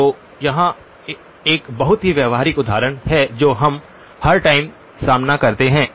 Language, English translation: Hindi, So here is a very practical example something which we encounter all the time